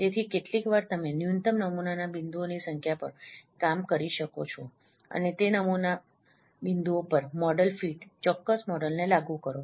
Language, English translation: Gujarati, So, sometimes you may work on those that minimum number of model, the minimum number of sample points and apply the model fit, precise model fitting over those sample point